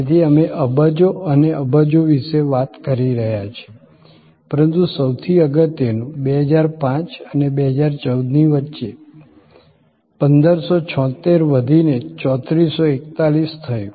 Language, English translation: Gujarati, So, we are talking about billions and billions, but most importantly 1576 growing to 3441 between 2005 and 2014